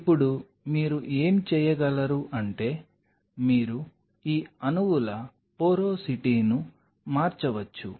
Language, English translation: Telugu, Now what you can do is you can change the porosity of these molecules